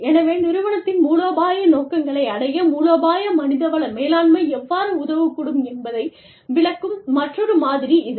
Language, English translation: Tamil, So, this is another model, that explains, how strategic human resources management can help, with the achievement of strategic objectives of the organization